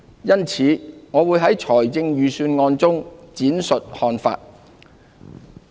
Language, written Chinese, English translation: Cantonese, 因此，我會在預算案中闡述看法。, I will take this opportunity to share my views in the Budget